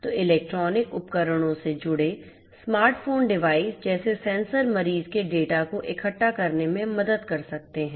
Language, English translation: Hindi, So, smart phone devices connected to electronic devices such as sensors can help in collecting the data of the patients